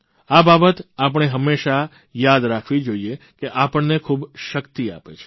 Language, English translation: Gujarati, These incidents should always be remembered as they impart us a lot of strength